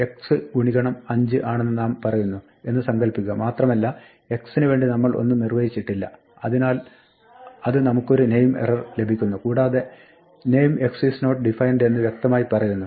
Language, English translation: Malayalam, Supposing we say y is equal to 5 times x and we have not define anything for x then, it gives us an index error a name error and it says clearly that, the name x is not defined